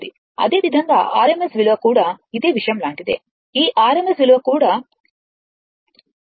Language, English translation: Telugu, So, rms value is equal to point this rms value is equal to 0